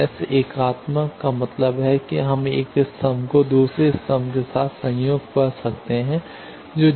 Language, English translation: Hindi, So, S unitary means we can have the one column conjugate with another column that will be 0